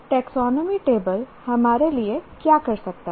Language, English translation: Hindi, So, what is the, what can a taxonomy table do for us